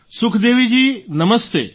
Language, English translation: Gujarati, Sukhdevi ji Namaste